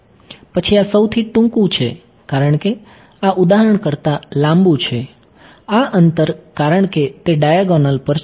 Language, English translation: Gujarati, Then this is the shortest, because this is longer than for example, this distance right because it is on the diagonal